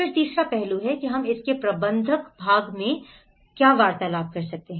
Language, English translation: Hindi, Then the third aspect is we discussed about the management part of it